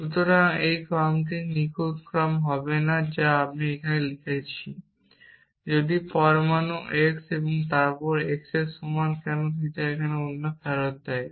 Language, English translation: Bengali, So, this order will not be the perfect order I am writing here if atom x then if x equal to why return theta else